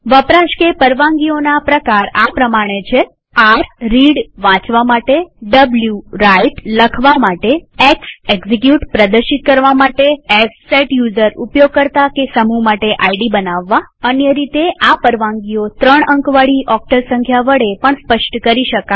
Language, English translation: Gujarati, There are following types of access or permissions r that is Read w that is Write x that is Execute s that is Set user ID Alternatively, we may specify permissions by a three digit octal number